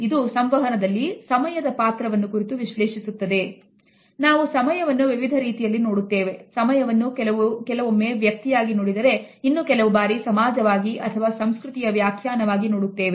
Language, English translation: Kannada, We keep time in different ways we keep time as an individual, we keep time as a society we also have a cultural definition of time